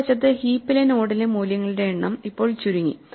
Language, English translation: Malayalam, On the other hand, the number of values in the node in the heap has now shrunk